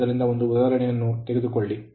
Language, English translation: Kannada, So, take one example